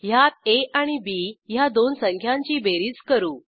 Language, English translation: Marathi, In this we perform addition of two numbers a and b